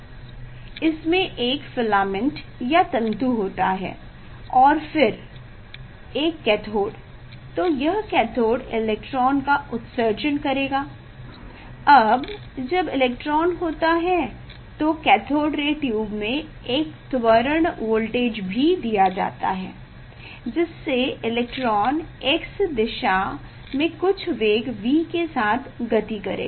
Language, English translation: Hindi, there is a filament and then cathode, electron, so this cathode will emit electron; now that electron there is a if P acceleration voltage is given in the cathode ray tube, so that the electron will move with some velocity V along the x direction